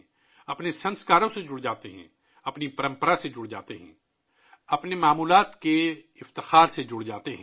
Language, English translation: Urdu, We get connected with our Sanskars, we get connected with our tradition, we get connected with our ancient splendor